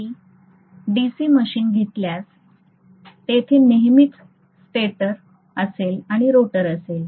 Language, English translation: Marathi, If I take a DC machine, as I told you, there will always be a stator and there will be a rotor